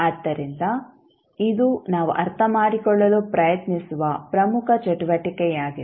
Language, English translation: Kannada, So, this would be the important activity which we will try to understand